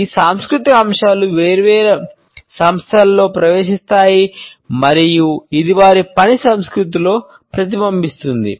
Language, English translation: Telugu, These cultural aspects percolate further into different organizations and it is reflected in their work culture